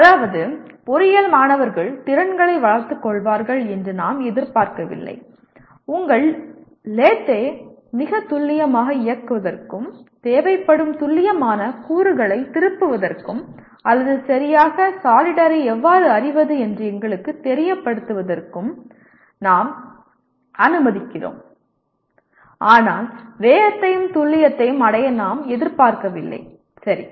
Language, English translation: Tamil, That is we are not expecting the engineering students to develop skills let us say for running your lathe very precisely, turning precision components that are required nor while we should know how to solder properly but we do not expect to achieve speeds and precision that very well, right